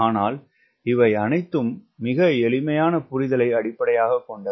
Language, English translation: Tamil, but this are all based on very simple understanding